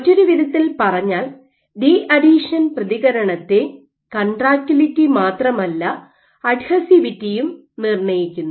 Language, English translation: Malayalam, So, in other words the deadhesion response is not only dictated by contractility, but also dictated by adhesivity